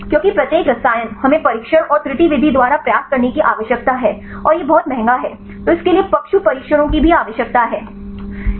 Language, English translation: Hindi, Because every chemicals, we need to try by trial and error method and it is very expensive then it also require the animal tests right